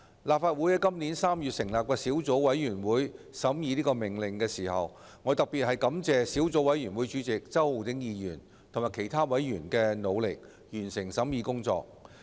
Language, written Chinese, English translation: Cantonese, 立法會在今年3月成立小組委員會審議《命令》，我特別感謝小組委員會主席周浩鼎議員及其他委員，努力完成審議工作。, In March this year the Legislative Council formed a subcommittee to scrutinize the Order . I would like to especially thank Mr Holden CHOW Chairman of the Subcommittee and other members for their efforts to complete the scrutiny of the Order